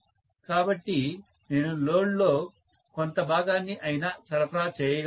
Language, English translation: Telugu, So, I would be able supply at least part of the load